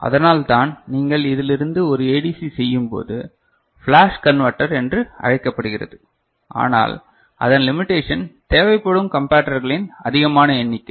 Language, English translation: Tamil, And that is why when you make a ADC out of this is called flash converter right, but the limitation of course, is the number of comparators required